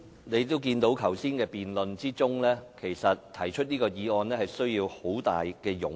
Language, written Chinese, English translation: Cantonese, 你也看到剛才辯論的情況，要動議這項議案實在需要很大勇氣。, From the debates just conducted one can realize that it really took a lot of courage to move this motion